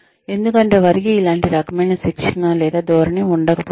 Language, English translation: Telugu, Because they may not have, similar kind of training or orientation